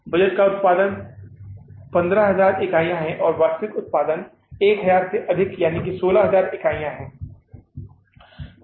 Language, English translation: Hindi, Budgeted output is 15,000 units and actual output is more by 1,000, that is 16,000 units